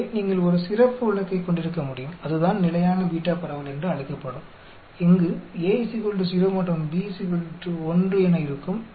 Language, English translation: Tamil, So, you can have a special case this called Standard Beta Distribution when A is equal to 0 and B is equal to 1